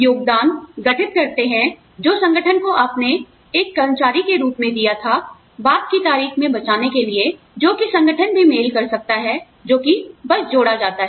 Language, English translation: Hindi, Contributions constitute, what you gave as an employee, to the organization, to save up for a later date, that the organization may also match, you know, that just adds up